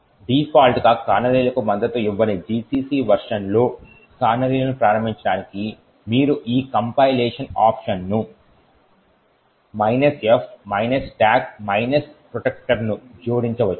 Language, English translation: Telugu, In order to enable canaries in versions of GCC which do not support canaries by default you could add these compilation option minus f –stack protector